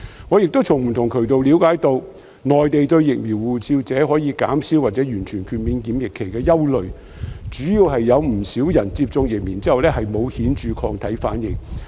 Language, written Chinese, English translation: Cantonese, 我亦從不同渠道了解到，內地對"疫苗護照"持有者可以減少或完全豁免檢疫期的憂慮，主要是有不少人在接種疫苗後沒有顯著抗體反應。, I have also learnt from various channels that the Mainland authorities are concerned about the reduction or complete waiving of quarantine for holders of vaccine passports mainly because a considerable number of people have no obvious antibody response after vaccination